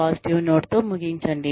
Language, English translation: Telugu, End on a positive note